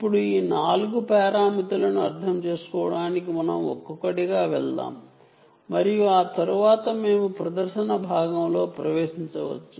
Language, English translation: Telugu, now let us go one by one to understand these four parameters and after which we can get into the demonstration part